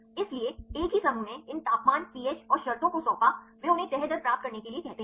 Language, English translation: Hindi, So, same groups they assigned these temperature pH and conditions, they ask them to get the folding rate